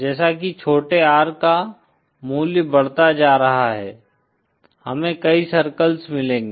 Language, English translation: Hindi, As the value of small R goes on increasing, we will get a number of circles